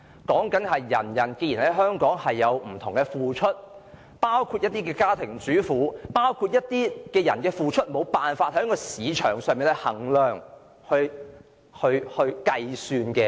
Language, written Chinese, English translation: Cantonese, 意思是，人人在香港有不同的付出，包括家庭主婦和一些群體其付出是無法在市場上衡量及計算的。, By this I mean that peoples contribution to Hong Kong differs from one person to another including homemakers and some social groups whose contribution cannot be measured or calculated in the market